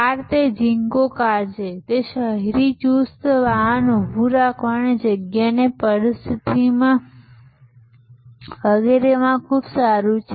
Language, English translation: Gujarati, It is a Zingo car, it is very good in the urban, tight parking situation and so on